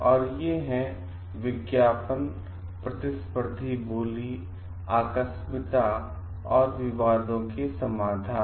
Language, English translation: Hindi, And these are advertising, competitive bidding, contingencies and resolution of disputes